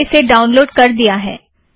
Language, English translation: Hindi, I have already downloaded it here